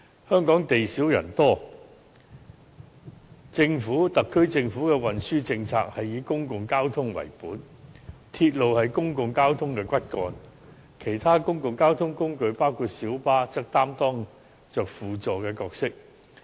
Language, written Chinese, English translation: Cantonese, 香港地少人多，特區政府的運輸政策是以公共交通為本，而鐵路是公共交通的骨幹，其他公共交通工具，包括小巴則擔當着輔助角色。, Hong Kong is a small and densely - populated city . The transport policy of the SAR Government is based on public transport the backbone of which is railway while other modes of transport including minibuses play a supplementary role